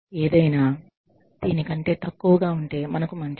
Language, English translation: Telugu, Anything, less than this, is good for us